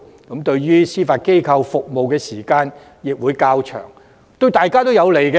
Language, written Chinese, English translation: Cantonese, 延長他們在司法機構服務的時間對大家都有好處。, It will be useful to prolong their service tenure in the Judiciary